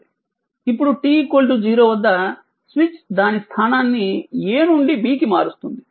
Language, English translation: Telugu, Now, at time t is equal to 0, the switch changes its position to B